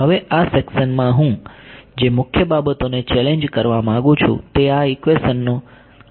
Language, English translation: Gujarati, Now one of the main things that I want to sort of challenge in this section is our use of this equation